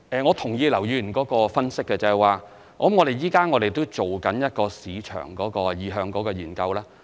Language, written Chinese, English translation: Cantonese, 我同意劉議員的分析，因此我們現正進行一項市場意向的研究。, I agree to Mr LAUs analysis and that is why we are undertaking a market sounding survey